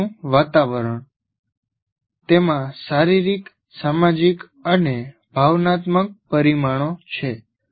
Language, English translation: Gujarati, Learning environment, it has physical, social, and emotional dimensions